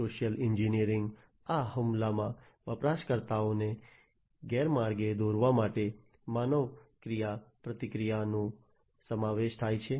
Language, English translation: Gujarati, Social engineering, this attack involves human interaction to mislead the users